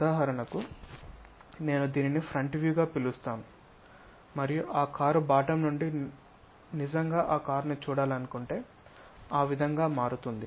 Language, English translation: Telugu, For example if I am calling this one as a front view and from bottom of that car if I want to really look at that car turns out to be in that way